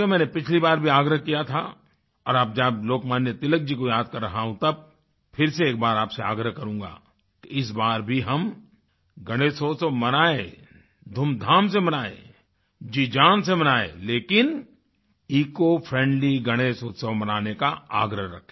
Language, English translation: Hindi, I had requested last time too and now, while remembering Lokmanya Tilak, I will once again urge all of you to celebrate Ganesh Utsav with great enthusiasm and fervour whole heartedly but insist on keeping these celebrations ecofriendly